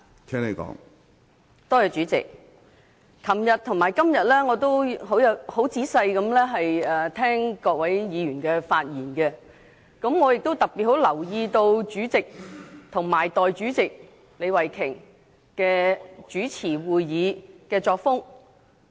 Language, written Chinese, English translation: Cantonese, 主席，我在昨天和今天仔細聆聽了各位議員的發言，我特別留意到主席和代理主席李慧琼議員主持會議的作風。, President I listened carefully to the speeches by Members today and yesterday and paid special attention to the styles of presiding over the meeting of the President and Deputy President Ms Starry LEE